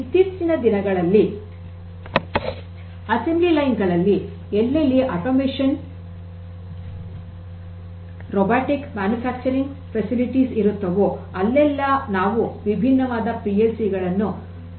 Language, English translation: Kannada, So, all assembly line things you know nowadays where there is automation, robotic manufacturing facilities mostly you will find that what is used are these different PLCs in different forms